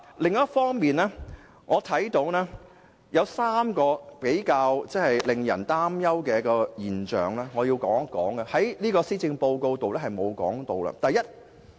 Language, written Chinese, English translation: Cantonese, 另一方面，我想談談3項令人擔憂的事項，這些事項在施政報告中並無提及。, On the other hand I would like to talk about three issues that have aroused concerns but are not covered in the Policy Address